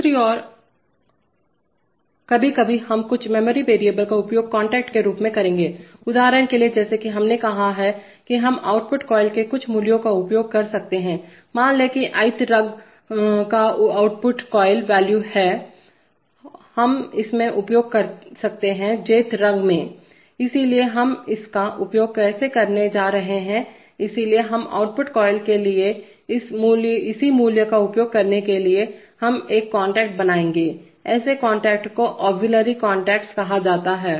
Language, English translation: Hindi, On the other hand, sometimes we will use some memory variables as contacts, for example as we have said that we can have, we can use some value of the output coil, suppose the output coil value of the ith rung, we may use in the Jth rung, so how are we going to use that, so we, so this, to use the value corresponding to the, to an output coil, we will create an, create a contact, such contacts are called auxiliary contacts